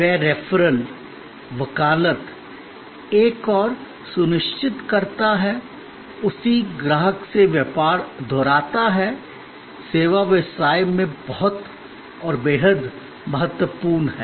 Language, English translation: Hindi, That referral, that advocacy ensures on one hand, repeat business from the same customer, extremely important in service business